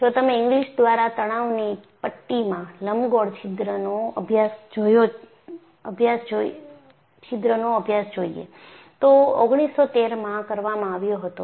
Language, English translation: Gujarati, And, if you look at study of elliptical holes in a tension strip by Inglis, was done in 1913